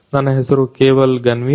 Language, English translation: Kannada, My name is Keval Ganvir